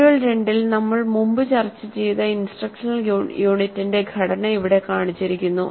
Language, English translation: Malayalam, The structure of the instruction unit which we discussed earlier in module 2 is shown here